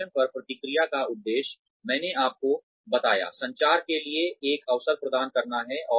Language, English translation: Hindi, The purpose of feedback on performance, I told you, is to provide an opportunity for communication